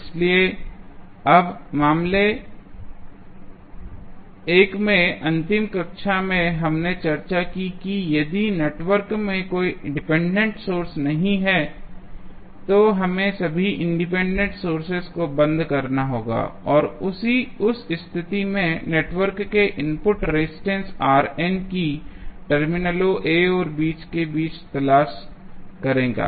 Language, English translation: Hindi, So, now, in case 1 in the last class we discuss if the network has no dependence source, then what we have to do we have to turn off all the independent sources and in that case R n would be the input resistance of the network looking between the terminals A and B